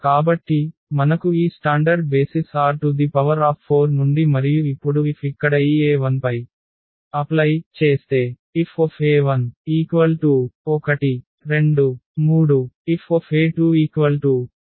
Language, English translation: Telugu, So, we have these standard basis from R 4 and now F if we apply on this e 1 here